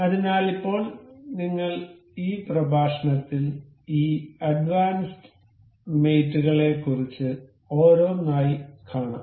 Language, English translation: Malayalam, So, now, we will in this lecture, we will go about these advanced mates one by one